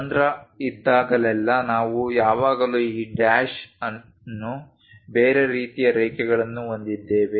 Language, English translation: Kannada, Whenever hole is there, we always have this dash the odd kind of lines